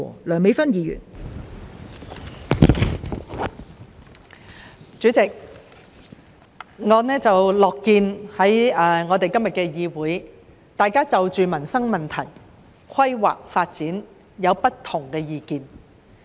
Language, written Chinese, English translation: Cantonese, 代理主席，我樂見在今天的議會，大家就民生問題、規劃發展有不同的意見。, Deputy President I am pleased to see Members raising diverse viewpoints on livelihood issues planning and development in the legislature today